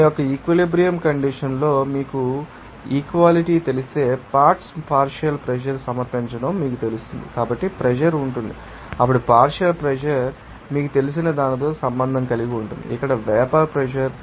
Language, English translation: Telugu, If you know equality at that equilibrium condition of you know pressure will be due to you know submission of partial pressure of the components and then partial pressure will be related to that you know, vapor pressure there